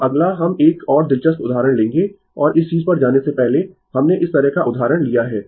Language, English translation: Hindi, Now, next we will take another interesting example and before going to this thing, we have taken this kind of example